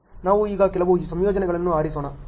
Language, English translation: Kannada, Now, let us choose some combinations now